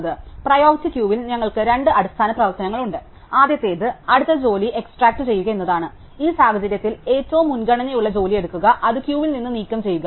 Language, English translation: Malayalam, So, we have two basic operations in a priority queue; the first is to extract the next job which in this case means take the job with the highest priority, and remove it from the queue